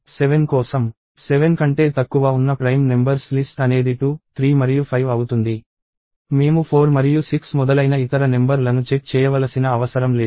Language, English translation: Telugu, For 7, the list of prime numbers that are less than 7 or 2, 3 and 5, I do not have to check other numbers like 4 and 6 and so on